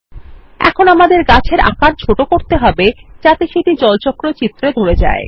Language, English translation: Bengali, Now, we should reduce the size of the tree so that it fits in the Water Cycle drawing